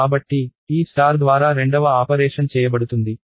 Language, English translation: Telugu, So, this star is the second operation that will be done